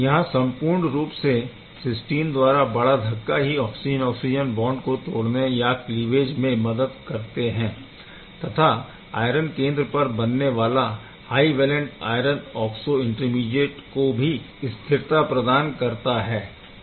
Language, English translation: Hindi, Overall not only this cysteine big push cleaves the oxygen oxygen bond it also helps in stabilize the high valent iron oxo intermediate that is going to be formed at this iron center